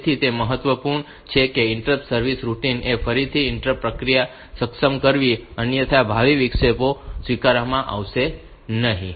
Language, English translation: Gujarati, So, it is important that the interrupt service routine it performs on enable interrupts to re enable the interrupts process otherwise the future interrupts will not be accepted